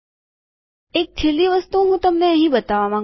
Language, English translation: Gujarati, There is one last thing that I want to show you here